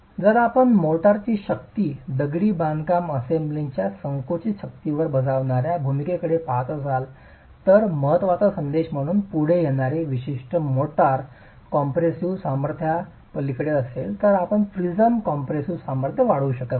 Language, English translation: Marathi, If you are looking at the role that the motor strength will play on the compressive strength of the masonry assembly, what comes out as an important message is beyond a certain motor compressive strength, you cannot increase the prism compressive strength